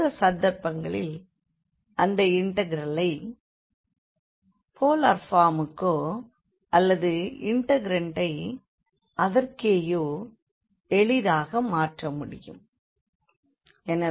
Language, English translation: Tamil, In those cases, we can easily think of converting the integral to polar form or the integrand itself